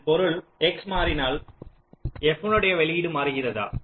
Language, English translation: Tamil, this means if x changes, does the output of f changes